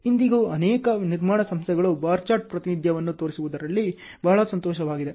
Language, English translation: Kannada, Even today many construction firms are very happy in showing a bar chart representation